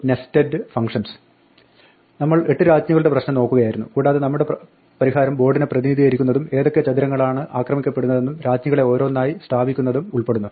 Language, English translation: Malayalam, We were looking at the 8 queens problem, and our solution involved representing the board, which squares are under attack and placing the queens one by one